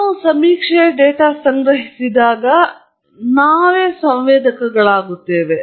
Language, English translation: Kannada, When we collect survey data, we are the sensors, in fact